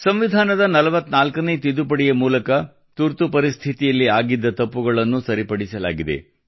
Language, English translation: Kannada, Whereas, through the 44th Amendment, the wrongs committed during the Emergency had been duly rectified